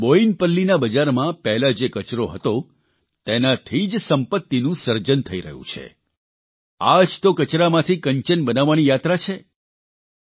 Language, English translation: Gujarati, Today in Boinpalli vegetable market what was once a waste, wealth is getting created from that this is the journey of creation of wealth from waste